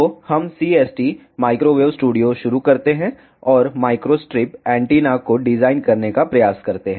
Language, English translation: Hindi, So, let us start CST microwave studio, and try to design micro strip antenna